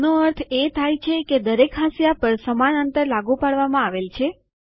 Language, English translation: Gujarati, This means that the same spacing is applied to all the margins